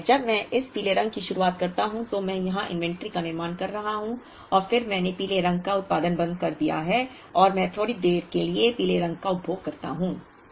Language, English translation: Hindi, Similarly, when I start this yellow I am building up inventory here and then I stop producing the yellow and I consume the yellow for a while